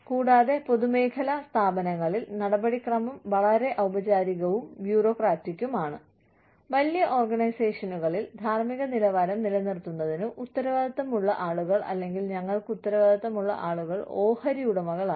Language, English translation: Malayalam, And, in public sector organizations, the procedure is very formal and bureaucratic Then, in large organizations, the people, who are responsible, for maintaining ethical standards, and, or the people, who we are accountable to, are the shareholders, and other stakeholders, sorry